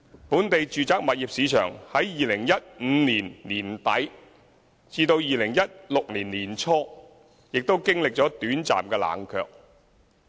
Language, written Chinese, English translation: Cantonese, 本地住宅物業市場在2015年年底至2016年年初亦經歷短暫的冷卻。, The local residential property market experienced a brief period of cooling down from late 2015 to early 2016